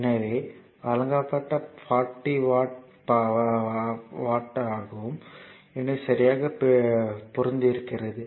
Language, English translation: Tamil, So, supplied is 45, 40 watt and absorb is also 40 watt so, perfectly matching